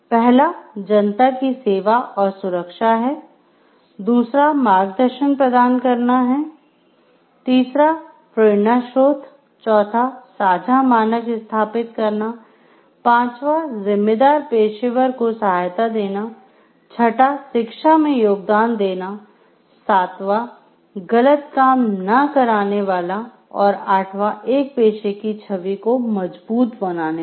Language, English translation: Hindi, So, first is serving and protecting the public, second is providing guidance, third offering inspiration, fourth establishing shared standards, fifth supporting responsible professionals, sixth contributing to education, seventh deterring wrongdoing and eighth strengthening a professions image